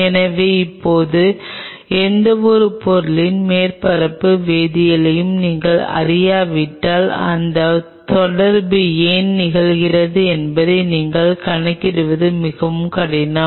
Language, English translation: Tamil, So, now, unless otherwise you know the surface chemistry of any material it is extremely tough for you to quantify that why this interaction is happening